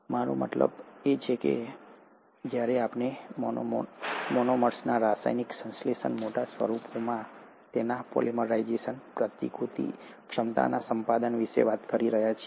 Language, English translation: Gujarati, I mean all this while we are only talking about chemical synthesis of monomers, their polymerization to larger forms, hopefully acquisition of replicative ability